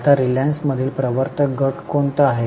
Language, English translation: Marathi, Now, who are the promoter groups in Reliance